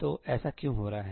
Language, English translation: Hindi, So, why is that happening